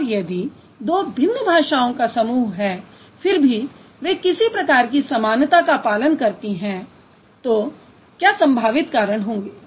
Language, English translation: Hindi, And if two different language families but they follow a certain type, what could be the possible reasons